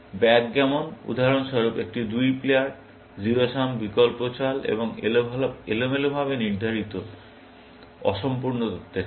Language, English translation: Bengali, Backgammon, for example, is a two player, 0 sum, alternate move, and stochastic, incomplete information game